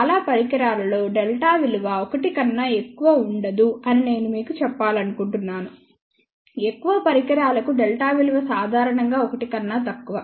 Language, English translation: Telugu, I just want to tell you for majority of the devices delta will not be greater than 1 ok, for majority of the devices delta is in general less than 1